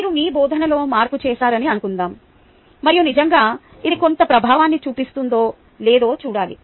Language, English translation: Telugu, supposing i made a change in your teaching and you want to see whether really it has been having some impact